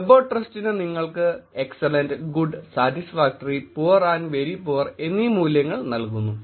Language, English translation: Malayalam, So web of trust basically gives you value of excellent, good, satisfactory, poor and very poor